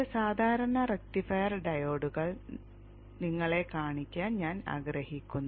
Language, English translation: Malayalam, I would like to show you some common rectifier diodes